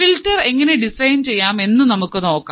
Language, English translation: Malayalam, So, we will see how we can design filters